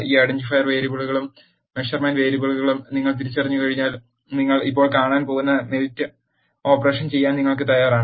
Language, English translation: Malayalam, Once you have identify this identifier variables and measurement variables, you are ready to do the melt operation which you are going to see now